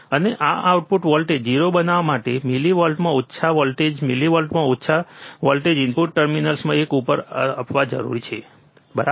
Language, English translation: Gujarati, And to make this output voltage 0, a small voltage in millivolts a small voltage in millivolts is required to be applied to one of the input terminals, alright